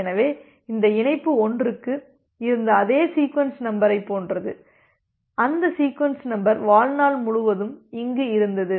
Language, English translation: Tamil, So, it is like that this the same sequence number which was there for this connection 1, that sequence number had a lifetime up to here